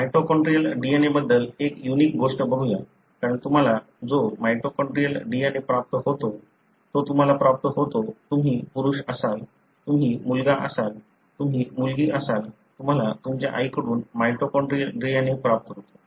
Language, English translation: Marathi, Let’s look into the unique thing about mitochondrial DNA, because the mitochondrial DNA that you receive, you receive it invariably from, whether you are male, whether you are son, you are daughter; you receive the mitochondrial DNA from your mother